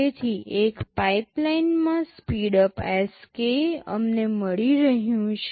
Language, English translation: Gujarati, So, in a pipeline the speedup Sk we are getting is this